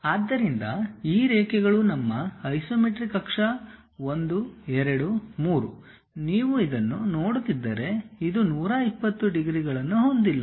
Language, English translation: Kannada, So these lines are our isometric axis one, two, three; if you are looking this one, this one; they are not making 120 degrees